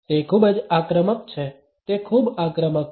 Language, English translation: Gujarati, It is it is very aggressive